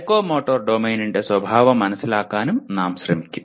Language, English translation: Malayalam, Understand the nature of psychomotor domain